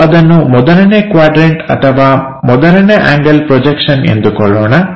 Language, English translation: Kannada, Let us assume that is a first quadrant or first angle projection